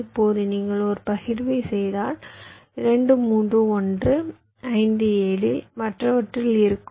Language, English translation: Tamil, so now if you do a partition, two, three will be in one, five, seven will be in the other